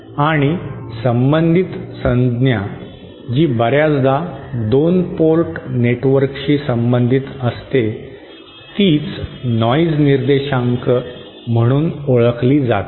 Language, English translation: Marathi, And related term that is often associated with 2 port networks is what is known as a noise figure